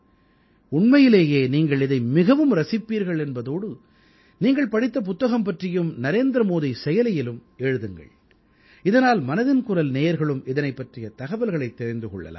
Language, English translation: Tamil, You will really enjoy it a lot and do write about whichever book you read on the NarendraModi App so that all the listeners of Mann Ki Baat' also get to know about it